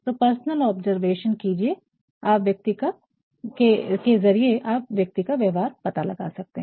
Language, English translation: Hindi, So, through personal observation you can judge the behaviour of a person